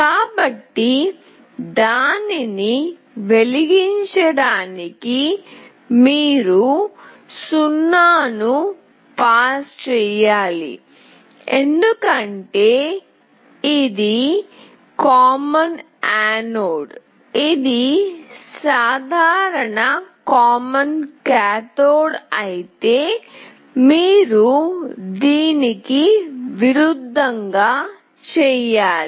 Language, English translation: Telugu, So, to glow it you need to pass a 0, because it is a common anode; if it is common cathode, you have to do the opposite one